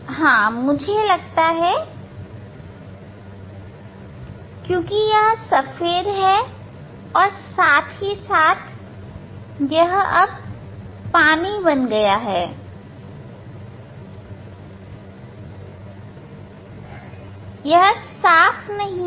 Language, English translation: Hindi, Yeah, I think I because it white as well as a it is now water become it is not clear water